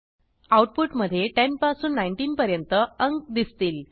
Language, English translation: Marathi, The output will consist of numbers 10 through 19